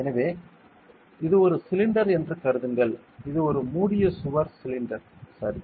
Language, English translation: Tamil, So, consider this is a cylinder this is a closed walled cylinder ok